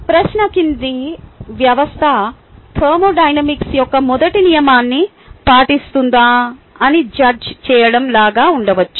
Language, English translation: Telugu, the question can be even like: judge whether the following system obey first law of thermodynamics